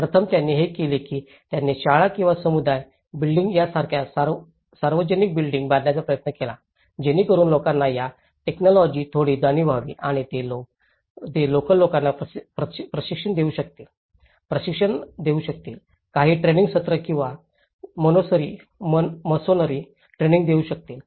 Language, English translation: Marathi, First, they did was, they tried to construct the public buildings like schools or the community buildings so that people get some awareness of this technology and they could also train the local people, they could also train, give some training sessions or the masonry training sessions to the local people so that it can be spread out to the other places as well